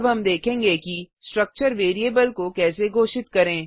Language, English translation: Hindi, Now we will see how to declare a structure variable